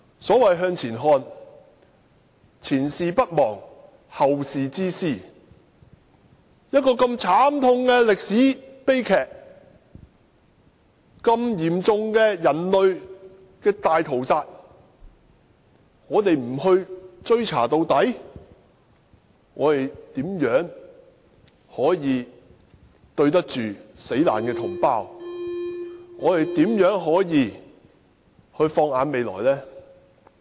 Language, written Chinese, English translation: Cantonese, 所謂向前看，是前事不忘，後事之師，一個如此慘痛的歷史悲劇，如此嚴重的人類大屠殺，如果我們不追查到底，試問怎對得起死難的同胞；如何放眼未來呢？, Looking forward means learning from past experiences . How can we do justice to the compatriots killed and look forward to the future if such a painful tragedy in history and serious massacre is not pursued until the very end?